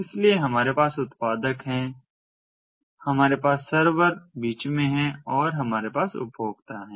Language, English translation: Hindi, so we have the producers, we have the server in between and we have the consumers